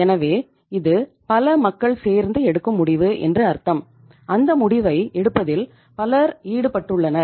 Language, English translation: Tamil, So it means itís a itís a multi people decision where so many people are involved in taking that decision